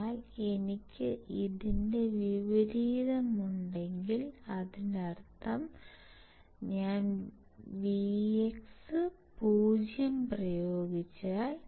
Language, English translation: Malayalam, But if I have reverse of this; that means, that if I apply vx equals to 0